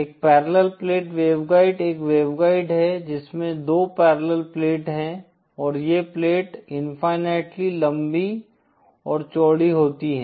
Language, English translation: Hindi, A Parallel Plate Waveguide is a waveguide which has two parallel plates and these plates are infinity long and infinitely wide